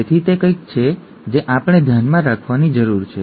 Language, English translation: Gujarati, So that is something that we need to keep in mind